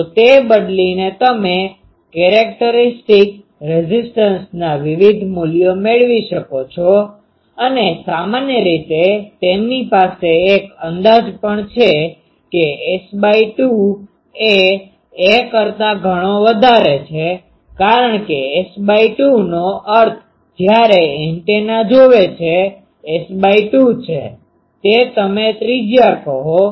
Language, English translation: Gujarati, So, by changing that you can get different values of characteristics impedance and generally they also has an approximation that S by 2 is much greater than ‘a’ because S by 2 means when the antenna is seeing, S by 2 is it is you can say that radius